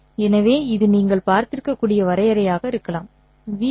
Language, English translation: Tamil, So, this might be the definition that you might have seen